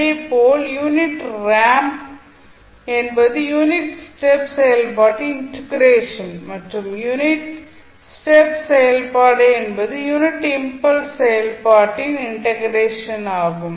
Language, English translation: Tamil, Similarly, unit ramp is integration of unit step function and unit step function is integration of unit impulse function